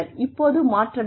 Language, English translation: Tamil, But now, you need to change